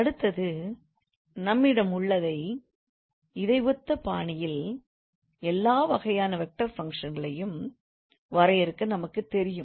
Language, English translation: Tamil, Next we have is, so we know in the similar fashion we can define all sorts of vector functions